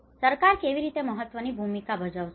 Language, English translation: Gujarati, So how government plays an important role